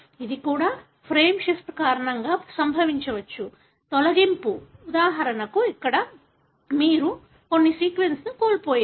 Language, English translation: Telugu, It also, the frame shift can also happen because of, I, deletion, like for example here, you have lost a few sequence